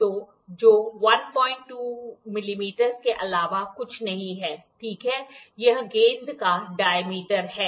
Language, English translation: Hindi, 2 millimeter, ok so, this is the diameter of the ball